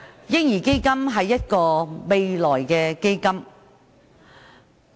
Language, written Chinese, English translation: Cantonese, "嬰兒基金"是未來的基金。, A baby fund is a fund for the future